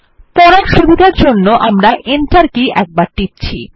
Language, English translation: Bengali, For readability we will press the Enter key once